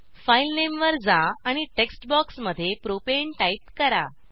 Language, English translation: Marathi, Go to the File Name and type Propane in the text box